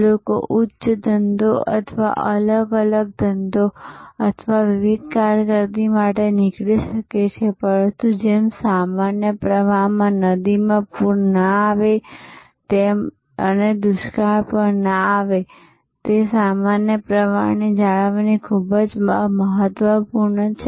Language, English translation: Gujarati, People may leave for higher pursuits or different pursuit or different careers, but just like a river in a normal flow will neither have flood nor will have drought, that normal flow maintenance is very important